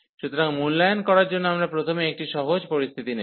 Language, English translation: Bengali, So, for the evaluation, we have we will consider first the a simple scenario